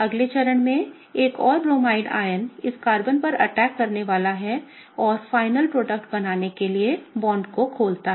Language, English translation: Hindi, In the next step what happens is that, another Bromide ion is going to come and attack on this Carbon and kick open the bond to form our final product